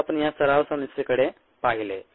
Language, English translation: Marathi, then we looked at this ah practice problem